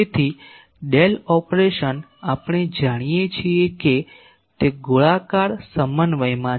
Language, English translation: Gujarati, So, Del operation we know it is in spherical co ordinate